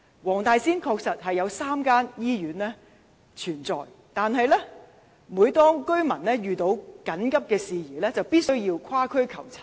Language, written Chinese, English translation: Cantonese, 黃大仙區確實設有3間醫院，但每當居民遇到緊急事宜，必須跨區求診。, Surely there are three hospitals in the Wong Tai Sin District but in the event of emergencies residents must seek medical attention in other districts